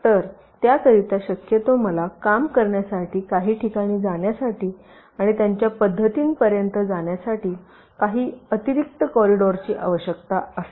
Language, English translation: Marathi, so for that, possibly, i will need some additional corridors for places to work and reach their approach